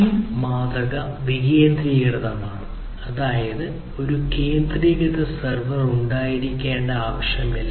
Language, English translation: Malayalam, So, this model is decentralized; that means, there is no requirement for having a centralized server